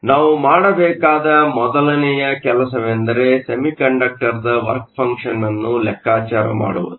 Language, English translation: Kannada, So, the first thing we need to do is to calculate the work function for the semiconductor